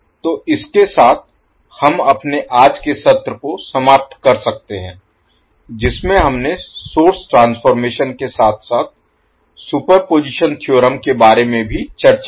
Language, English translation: Hindi, So with this, we can close our today’s session in which we discussed about the source transformation as well as superposition theorem